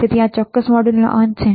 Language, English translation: Gujarati, So, this is end of this particular module